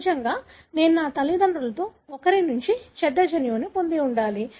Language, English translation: Telugu, Obviously I should have gotten the bad gene from one of my parents